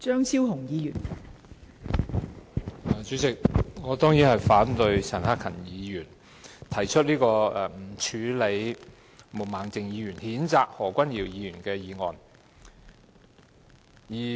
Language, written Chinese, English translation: Cantonese, 代理主席，我當然反對陳克勤議員提出這項議案，他要求不處理毛孟靜議員所動議譴責何君堯議員的議案。, Deputy President I definitely oppose this motion moved by Mr CHAN Hak - kan . He demanded that no further action be taken on the motion moved by Ms Claudia MO to censure Dr Junius HO